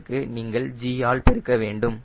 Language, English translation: Tamil, you have to multiply by g instead of fifty